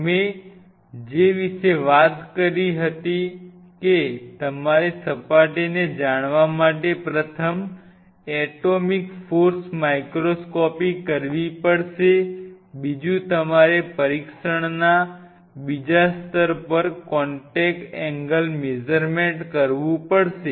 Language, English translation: Gujarati, What all we talked about we talked about that you have to do an atomic force microscopy as first technique to know the surface, second you have to do a contact angle measurement at the second level of test